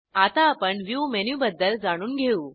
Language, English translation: Marathi, Let us now learn about the View menu